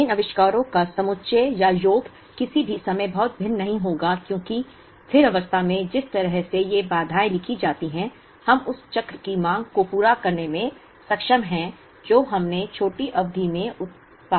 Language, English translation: Hindi, The aggregate or sum of these inventories will not be very different at any point in time, because at steady state the way these constraints are written, we are able to meet the demand of the cycle based on what we produced in the shorter period of the cycle